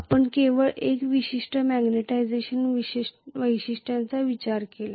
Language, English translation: Marathi, We considered only one particular magnetization characteristics